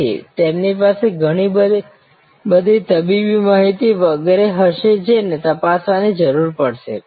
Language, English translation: Gujarati, So, they will have lot of medical records etc which will need to be checked